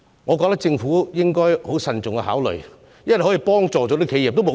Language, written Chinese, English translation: Cantonese, 我覺得政府應該慎重考慮這項可以幫助企業的建議。, In my view the Government should give a careful thought to this proposal which can help enterprises